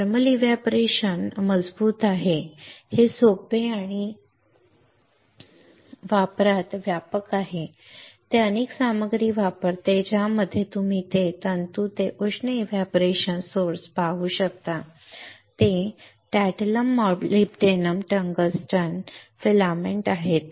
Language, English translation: Marathi, Thermal evaporator is robust is simple and widespread in use it uses several materials you can see here for filaments to heat evaporation source that is tantalum molybdenum tungsten filaments alright